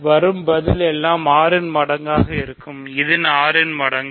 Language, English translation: Tamil, So, everything is a multiple of 6